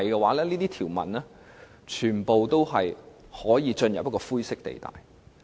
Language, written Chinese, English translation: Cantonese, 否則，這些條文全都會出現灰色地帶。, Otherwise a grey area will appear in all these provisions